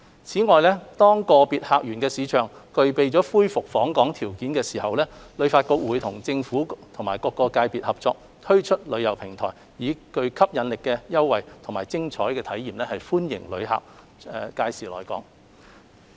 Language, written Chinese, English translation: Cantonese, 此外，當個別客源市場具備恢復訪港條件時，旅發局會與政府及各界別合作，推出旅遊平台，以具吸引力的優惠和精彩的體驗歡迎旅客屆時來港。, Moreover once individual source markets have the conditions for resuming travelling to Hong Kong HKTB will also team up with the Government and different partners to create a travel platform to welcome back visitors with enticing offers and exciting experiences